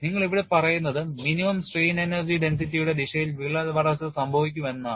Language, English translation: Malayalam, And what you are saying here is crack growth will occur in the direction of minimum strain energy density